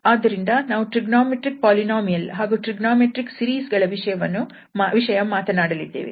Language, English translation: Kannada, Lecture number 31 and today we will discuss on trigonometric polynomials and trigonometric series